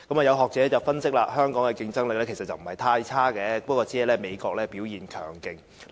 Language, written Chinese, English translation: Cantonese, 有學者分析香港的競爭力不是太差，只是美國表現強勁。, Some academics reason that Hong Kongs competitiveness is itself not so bad only that the United States has done extremely well